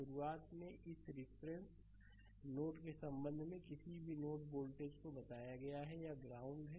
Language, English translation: Hindi, At the beginning we have told any node voltage with respect to this reference node, this this is ground